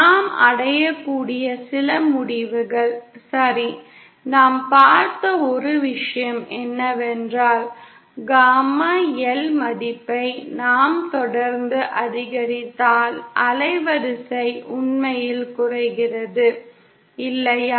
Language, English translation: Tamil, Some of the conclusions we can reach is ,okay, one thing that we saw was that, if we keep increasing the value of gamma L then the band width actually decreases, Isn’t it